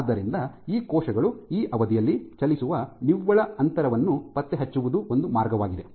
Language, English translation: Kannada, So, one way is to track the net distance that these cells travel over that duration